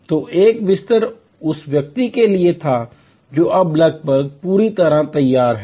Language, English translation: Hindi, So, one bed was for the person now almost fully prepared